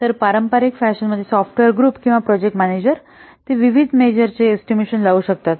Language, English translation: Marathi, So, in a traditional fashion, the software group or the project manager, they can estimate the various parameters